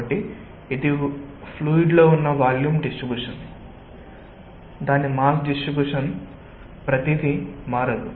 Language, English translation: Telugu, so the, its volume distribution within the fluid, its mass distribution, everything